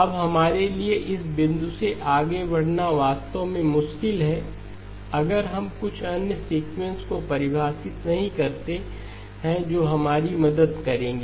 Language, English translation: Hindi, Now it is actually difficult for us to proceed beyond this point if we do not define some other sequences that will help us